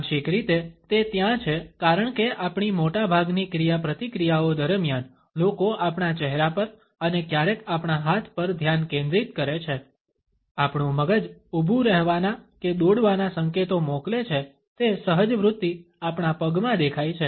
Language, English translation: Gujarati, Partially it is there because during most of our interactions people tend to focus on our face and sometimes on our hands; our brain transmits a signals of freezing or running these instincts are visible in our legs